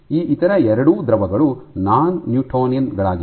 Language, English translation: Kannada, So, both of these other fluids are non newtonian